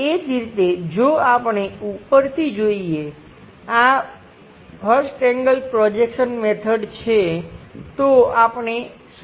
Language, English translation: Gujarati, Similarly, if we are looking from top view, it is a first angle projection what we are trying to look at